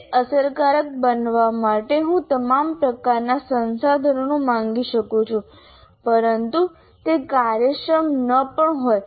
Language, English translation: Gujarati, I can ask for all kinds of resources for it to be effective, but it may not be efficient